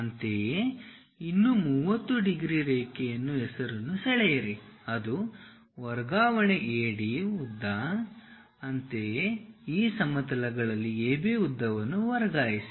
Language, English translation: Kannada, Similarly, draw one more 30 degrees line name it a transfer AD length; similarly transfer AB length on this planes